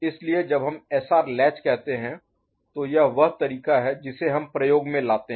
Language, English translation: Hindi, So, when we say SR latch, so this is the way we can put it